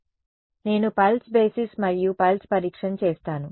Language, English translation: Telugu, So, I will do pulse basis and pulse testing right